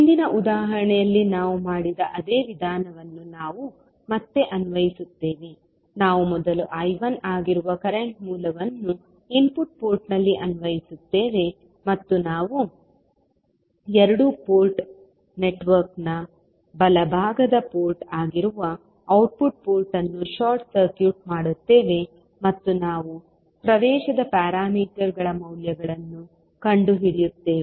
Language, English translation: Kannada, We will again apply the same procedure which we did in the previous example, we will first apply current source that is I 1 at the input port and we will short circuit the output port that is the right side port of the two port network and we will find out the values of admittance parameters